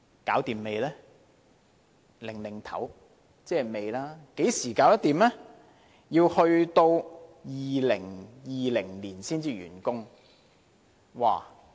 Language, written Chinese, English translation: Cantonese, 局長在搖頭，即是未完成，要到2020年才完工。, The Secretary is shaking his head meaning it has yet to be completed . It will be completed in 2020